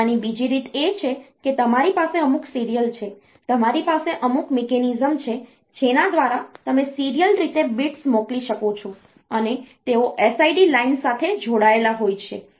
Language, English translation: Gujarati, The other way of doing it is you have some serial you have some mechanism by which you can send the bits serially, and they are connected to be SID line